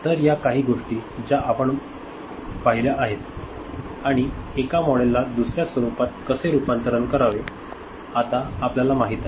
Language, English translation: Marathi, So, these are certain things that we had seen and we knew how to convert one model to another